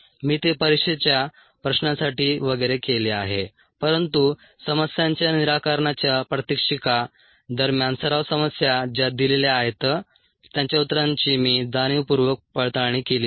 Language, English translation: Marathi, i have done that for the exam questions and so on, but during the ah, in a demonstration of the solutions of the problems, the practice problems that are assigned, i have deliberately not verified my answers